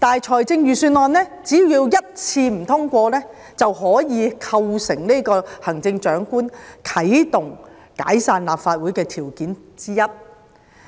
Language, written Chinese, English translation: Cantonese, 可是，預算案只要一次不獲通過，便可以構成行政長官啟動解散立法會的條件之一。, However if the Legislative Council does not pass a Budget for the first time it already constitutes a condition for the Chief Executive to dissolve the Legislative Council